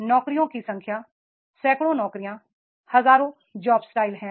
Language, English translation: Hindi, Number of jobs, hundreds of the jobs, thousands of the job styles are there